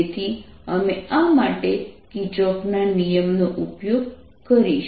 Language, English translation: Gujarati, so we will use kirchhoff's law for this